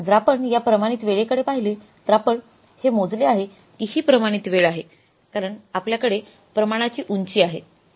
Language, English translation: Marathi, So if you look at this standard time, this is we have calculated and this is 405 is the standard time because we have upscaled the standards